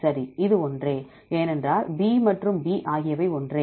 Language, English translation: Tamil, Right this is same, because B and B are the same